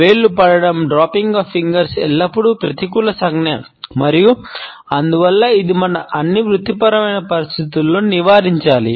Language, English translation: Telugu, Dropping of fingers is always a negative gesture and therefore, it should be avoided in all of our professional settings